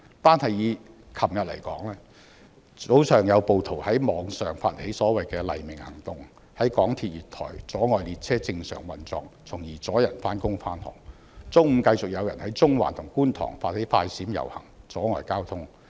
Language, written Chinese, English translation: Cantonese, 單是昨天，早上便有暴徒在網上發起所謂的"黎明行動"，在港鐵月台阻礙列車正常運作，從而阻礙市民上班、上學；中午繼續有人在中環和觀塘發起"快閃"遊行，阻礙交通。, Yesterday morning rioters disrupted MTR train operation to deter people from going to work and to school acting in response to the online call of the so - called Dawn Action; in the afternoon people staged flash mob processions in Central and Kwun Tong blocking traffic